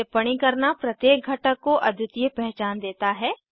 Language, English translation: Hindi, Annotation gives unique identification to each component